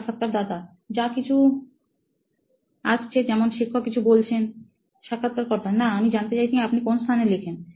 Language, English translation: Bengali, Whatever is coming, like if your teacher is speaking something… No, I am asking, where do you write